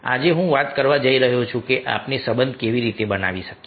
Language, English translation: Gujarati, so today i am going to talk that how we can build relationship